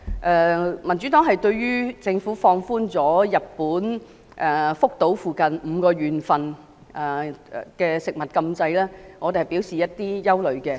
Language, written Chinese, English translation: Cantonese, 然而，民主黨對於政府放寬日本福島附近5個縣的食物禁制表示憂慮。, However the Democratic Party expressed concern about the Governments relaxation of the ban on foods from five prefectures near Fukushima Japan